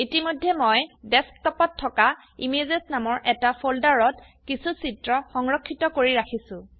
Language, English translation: Assamese, I have already stored some images on the Desktop in a folder named Images